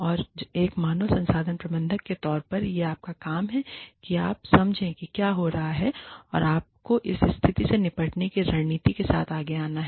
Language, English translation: Hindi, And, it is your job, as the human resources manager, to understand, what is going on, and to come up with a strategy, to deal with this, situation